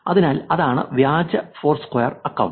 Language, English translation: Malayalam, So, that is the fake account foursquare